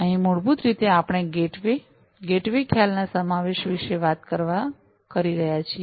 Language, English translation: Gujarati, Here basically we are talking about incorporation of the, the gateway, gateway concept